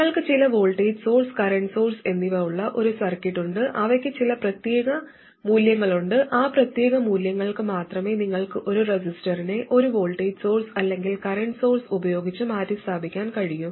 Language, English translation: Malayalam, You have a circuit with some voltage sources and current sources, they have some particular values, only for that particular set of values you could replace a resistor with a voltage source or a current source